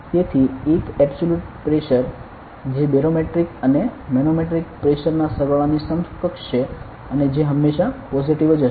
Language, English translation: Gujarati, So, there is an absolute pressure that is equivalent to the sum of barometric and manometric pressure and which will always be positive ok